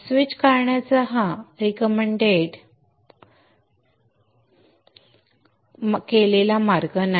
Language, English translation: Marathi, This is not a recommended way of drawing the switch